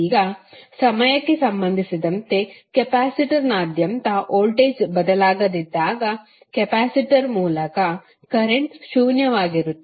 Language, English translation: Kannada, Now, when the voltage across the capacitor is is not changing with respect to time the current through the capacitor would be zero